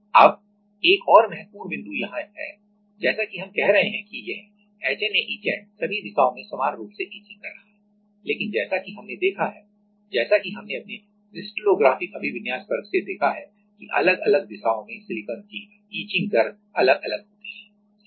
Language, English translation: Hindi, Now, another important point is here as we are saying that this HNA etchant is etching in all the direction equally, but as we have seen from; as we have seen from our crystallographic orientation class that in different direction silicon has different etching rates